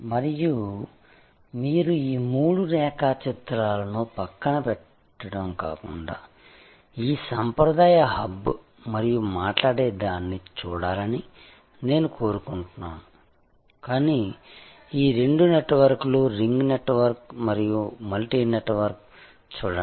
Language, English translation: Telugu, And I would like you to see these three diagrams rather leave aside, this traditional hub and spoke, but look at these two networks, the ring network and the multi network